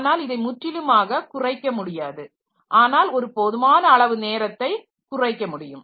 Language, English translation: Tamil, So, it cannot be eliminated altogether but this time can be reduced to a significant extent